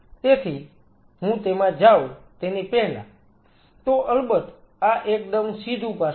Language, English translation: Gujarati, So, before I get into that, so this is of course, a very direct aspect